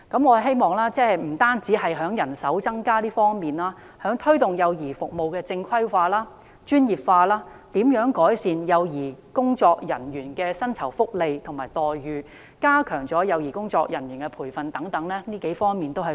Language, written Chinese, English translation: Cantonese, 我希望當局不單增加人手，也加強推動幼兒服務正規化和專業化，改善幼兒工作人員的薪酬福利及待遇和加強幼兒工作人員的培訓等數個方面。, I hope that in addition to increasing manpower the authorities will strengthen the promotion of regularization and professionalization of child care services improve the remuneration and benefits for child care workers and enhance the training provided for these workers